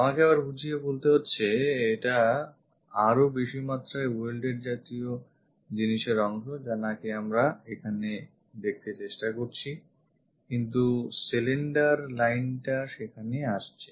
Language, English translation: Bengali, Let me explain once again; this is more like a welded kind of thing portion what we are trying to see here, but the cylinder line comes there